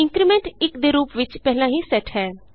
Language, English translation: Punjabi, The increment is already set as 1